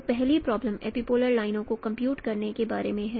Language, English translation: Hindi, So the first problem is about computation of epipolar lines